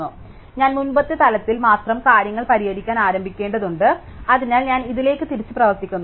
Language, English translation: Malayalam, So, I need to start fixing things only at the previous level, so I walk back to this